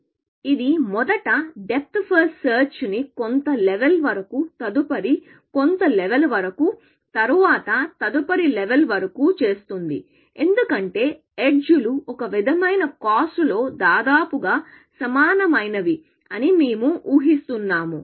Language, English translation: Telugu, So, it would first do depth first search up to some level, then up to some next level, then up to next level; so we are assuming that edges are sort of roughly similar in cost in source